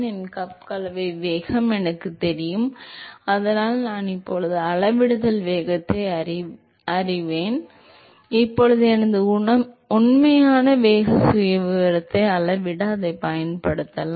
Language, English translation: Tamil, I know my cup mixing velocity and so I will, now know the scaling velocity so now I can use that to scale my actually velocity profile